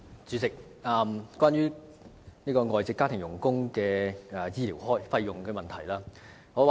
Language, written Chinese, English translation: Cantonese, 主席，我想問關於外傭醫療費用的問題。, President I would like to ask a question concerning the medical expenses incurred by FDHs